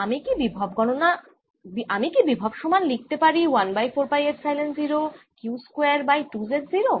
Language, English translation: Bengali, can i write the potential v as one over four, pi epsilon zero, q square over two, z zero